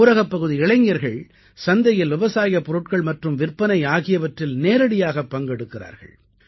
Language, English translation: Tamil, The rural youth are directly involved in the process of farming and selling to this market